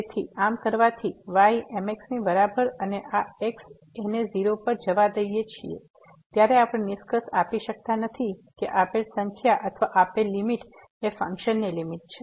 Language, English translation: Gujarati, So, by doing so y is equal to mx and letting this goes to , we cannot conclude that the given number or the given limit is the limit of the of the function